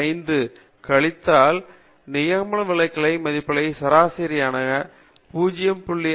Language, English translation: Tamil, 5 times the standard deviation value from the mean